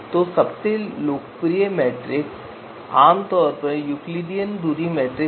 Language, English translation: Hindi, So the most popular distance metric that is typically used is the Euclidean distance metric